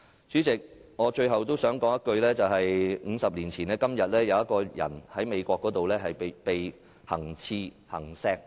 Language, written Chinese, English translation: Cantonese, 主席，我最後想說 ，50 年前的今天，羅拔.甘迺迪在美國被行刺身亡。, President lastly I would like to say that Robert KENNEDY was assassinated in the United States on the same day 50 years ago